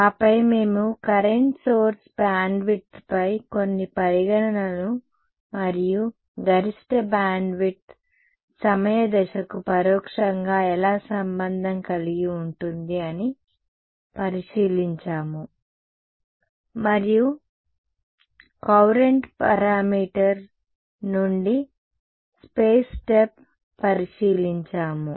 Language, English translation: Telugu, Then we looked at some considerations on the current source bandwidth and how that the maximum bandwidth gets indirectly related to the time step and therefore, the space step from the courant parameter ok